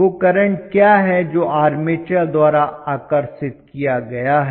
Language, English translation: Hindi, What is the current that is been drawn by the armature